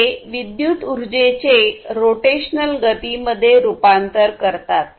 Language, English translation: Marathi, And this one is electrical energy into rotational motion